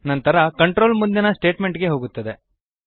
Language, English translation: Kannada, The control then jumps to the next statement